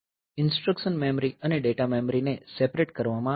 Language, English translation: Gujarati, So, instruction memory and data memory are separated